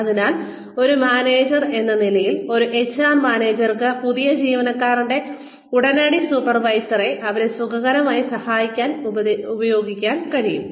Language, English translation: Malayalam, So, maybe as a manager, an HR manager can advise, the immediate supervisor of the new employee, to help them become comfortable